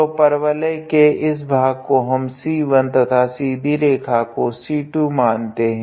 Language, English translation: Hindi, So, the part of the parabola is considered as to be C 1 and the part of the straight line is considered as to be C 2